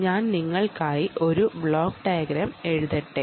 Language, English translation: Malayalam, so let me go back and write a block diagram for you